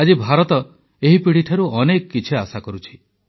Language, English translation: Odia, Today, India eagerly awaits this generation expectantly